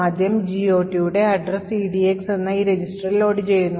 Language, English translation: Malayalam, First, we load the address of the GOT table into this register called EDX